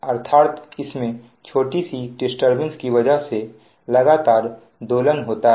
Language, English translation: Hindi, that means because of small disturbance disturbance, there is a continuous oscillation